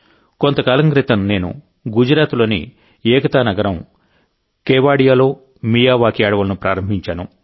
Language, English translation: Telugu, Some time ago, I had inaugurated a Miyawaki forest in Kevadia, Ekta Nagar in Gujarat